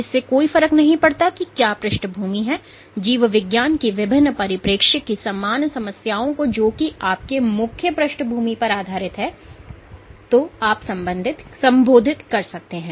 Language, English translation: Hindi, So, no matter from what is a background you can address the same problem of biology from a different perspective depending on what is your core background